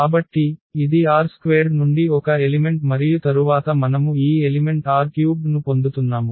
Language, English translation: Telugu, So, this is an element from R 2 and then we are getting this element R 3